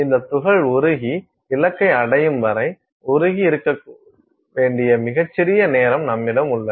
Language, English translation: Tamil, So, you have a very tiny amount of time during which this particle has to melt and stay molten till it hits the target